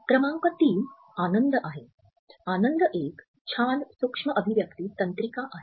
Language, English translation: Marathi, Number 3 is happiness; happiness is a great micro expression nerine